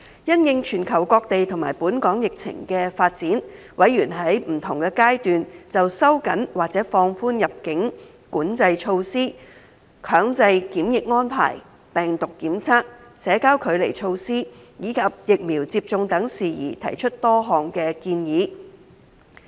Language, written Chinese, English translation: Cantonese, 因應全球各地和本港疫情的發展，委員在不同階段就收緊或放寬入境管制措施、強制檢疫安排、病毒檢測、社交距離措施，以及疫苗接種等事宜提出多項建議。, In response to global and local epidemic development members proposed many suggestions at different stages in respect of tightening or relaxing immigration control measures compulsory quarantine arrangement viral testing social distancing measures and vaccination